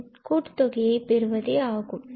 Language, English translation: Tamil, So, that is the sum